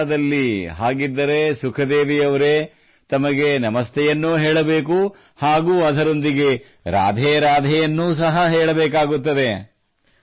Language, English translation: Kannada, In Mathura, then Sukhdevi ji, one has to say Namaste and say RadheRadhe as well